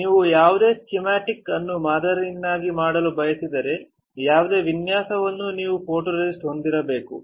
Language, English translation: Kannada, If you want to pattern any schematic any design you need to have a photoresist